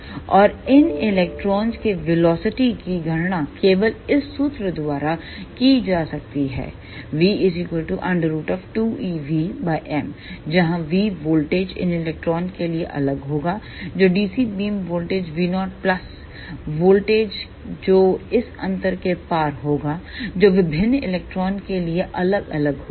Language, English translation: Hindi, And velocity of these electrons can be calculated by this formula only v is equal to under root two e capital V divided by m, where the capital V voltage for these electrons will be different that will be dc beam voltage v naught plus voltage across this gap that will vary for different electrons